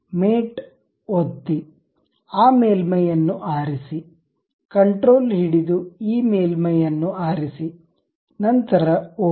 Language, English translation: Kannada, So, click mate, pick that surface, control, pick this surface, then ok